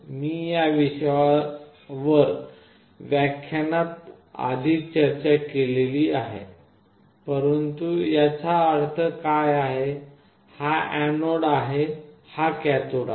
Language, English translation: Marathi, I already discussed this in the lecture, but what does it mean, this is the anode and this is the cathode